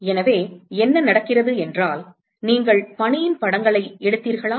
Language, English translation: Tamil, So, what happens is, have you taken pictures of snow